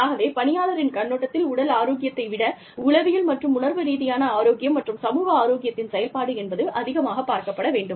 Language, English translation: Tamil, So, from the employee's perspective, it is much more, a function of psychological and emotional health, and social health, than it is of physical health